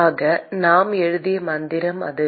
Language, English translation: Tamil, So, that is the mantra that we wrote